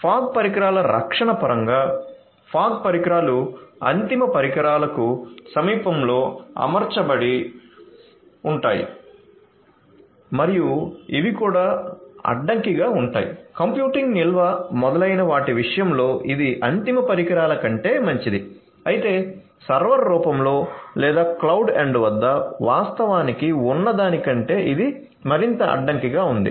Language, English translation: Telugu, So, in terms of protection of the fog devices; fog devices are deployed near to the end devices and are also you know these are also constrained you know it is better than better than the end devices in terms of computing storage etcetera, but still it is more constraint than what actually exists at the server form or the cloud end